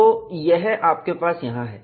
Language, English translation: Hindi, So, you have it here